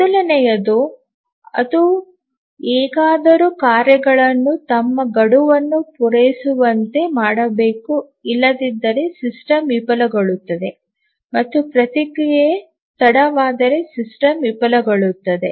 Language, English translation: Kannada, So, the first thing is that it somehow has to make the tasks meet their deadlines otherwise the system will fail, if the response is late then the system will fail